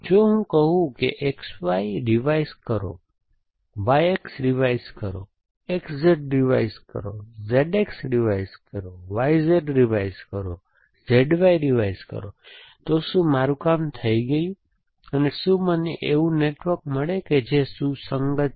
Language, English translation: Gujarati, If I say revise X Y, revise Y X, revise X Z, revise Z X, revise Y Z, revise Z Y, am I done, and do I get a network which is our consistence